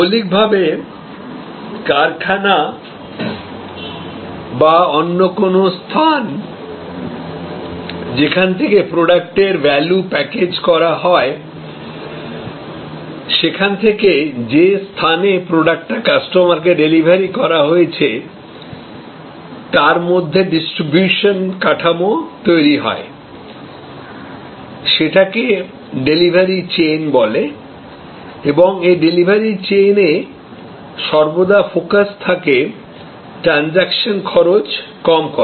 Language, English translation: Bengali, Fundamentally, in creating a distribution structure from the factory or from the place, where the value is packaged to the place where the value is delivered to the customer, constituted the so called delivery chain and in this delivery change, the focus is always been on reducing transaction cost